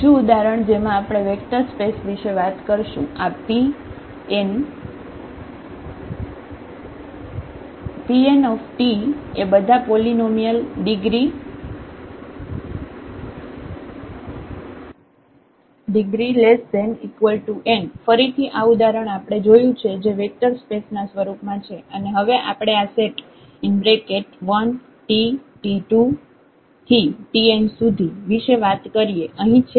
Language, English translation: Gujarati, Another example where we are talking about the vector space this P n of all polynomials of degree less than equal to n; again this example we have seen that this form a vector space and now we are talking about this set here 1 t t square and so on t n